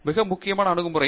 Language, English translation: Tamil, What is most important is attitude